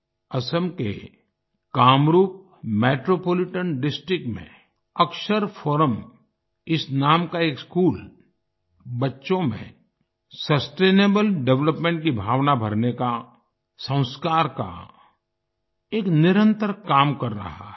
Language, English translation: Hindi, A school named Akshar Forum in Kamrup Metropolitan District of Assam is relentlessly performing the task of inculcating Sanskar & values and values of sustainable development in children